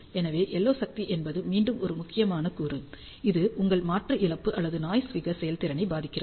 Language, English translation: Tamil, So, again the LO power is a critical component it affects your conversion loss as well as noise figure performance